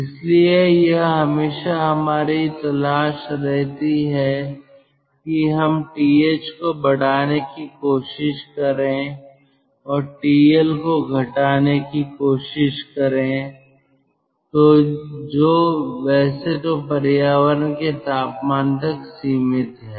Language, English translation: Hindi, so it is always our ah lookout that we will try to increase th and lower tl, which of course is limited by the temperature of the environment